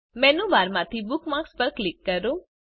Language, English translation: Gujarati, From the Menu bar, click on Bookmarks